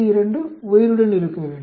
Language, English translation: Tamil, 2 to be alive